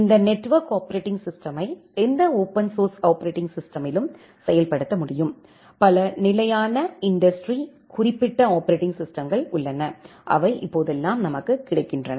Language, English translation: Tamil, And then this network operating system can be implemented in any open source operating system, there are multiple standard industry, specific operating systems, which are available nowadays